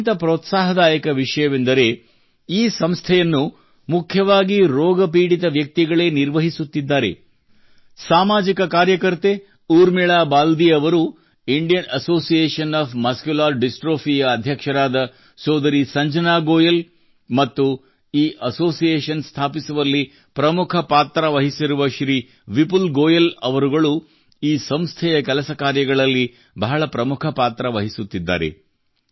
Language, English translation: Kannada, The most encouraging thing is that the management of this organization is mainly done by people suffering from this disease, like social worker, Urmila Baldi ji, President of Indian Association Of Muscular Dystrophy Sister Sanjana Goyal ji, and other members of this association